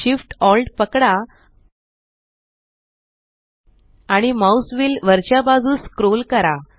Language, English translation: Marathi, Hold SHIFT and scroll the mouse wheel upwards